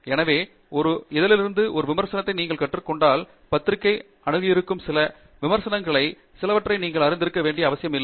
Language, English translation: Tamil, So, when you get a review from a journal, which comes from, you know, few different reviewers whom the journal has approached, it is not necessary that they are always right